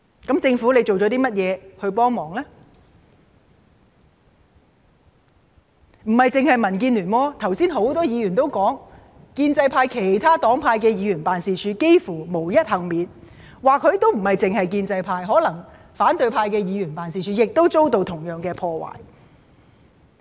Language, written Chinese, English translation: Cantonese, 其實亦並非單是民建聯，剛才有很多議員也指出，建制派其他黨派的議員辦事處幾乎也是無一幸免的，而且可能亦不止建制派，反對派議員的辦事處可能也遭到同樣破壞。, Actually not just DAB is affected . Just now Members have pointed out that offices of other pro - establishment Members from various political groups are not left unscathed . Apart from the offices of the pro - establishment camp the offices of the opposition camp may also be vandalized